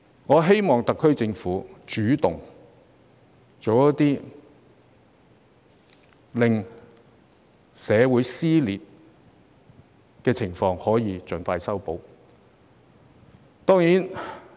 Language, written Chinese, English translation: Cantonese, 我希望特區政府主動做些事情，盡快修補社會撕裂。, I wish the SAR Government will take the initiative to mend the tear in society as soon as possible